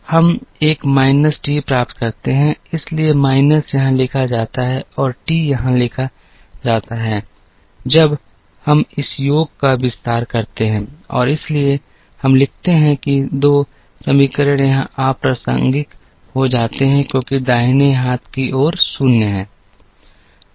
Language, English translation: Hindi, So, we get a minus t, so the minus is written here and the t is written here, now we expand this summation and we therefore, write 2 equations the minus becomes irrelevant here, because the right hand side is 0